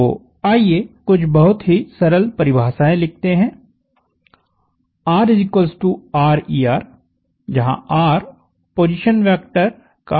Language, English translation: Hindi, So, let us write down some very simple definitions; r is r times er, where now r is the magnitude of the position vector